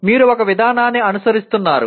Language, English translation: Telugu, You are following one approach